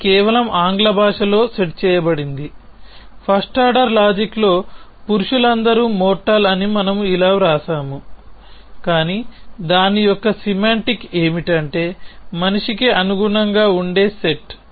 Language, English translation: Telugu, That is just set in English language we say that all men are mortal in FOL we will write it like this, but the semantics of that is that the set which corresponds to the set man